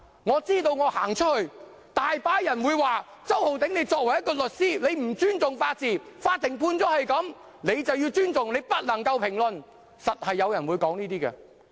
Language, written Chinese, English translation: Cantonese, 我知道我之後到外面，有很多人會說："周浩鼎，你作為一名律師，你不尊重法治，法院作出這樣的判決，你便要尊重，不能評論。, I understand that when I go out later on many people will say Holden CHOW you are a lawyer and you do not respect the rule of law . The Court has made this Judgement so you must respect it and cannot comment on it